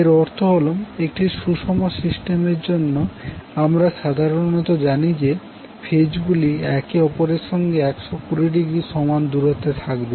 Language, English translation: Bengali, That means for a balanced system we generally know that the phases are equally upon equally distant with respect to each other that is 120 degree apart from each other